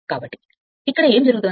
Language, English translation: Telugu, So, what what is happening here